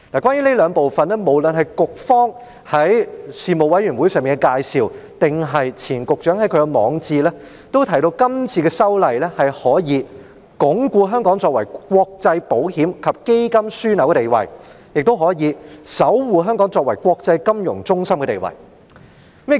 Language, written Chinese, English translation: Cantonese, 關於這兩部分，無論是局方在事務委員會上的介紹，或是前局長在其網誌上的撰文，均提到今次的修例可以鞏固香港作為國際保險及基金樞紐的地位，亦可以守護香港作為國際金融中心的地位。, Regarding these two parts it has been mentioned in both the briefing given by the Bureau at the Panel meeting and the article written by the former Secretary on his blog that the legislative amendment exercise this time can reinforce Hong Kongs role as an international insurance and fund management hub and safeguard Hong Kongs position as an international financial centre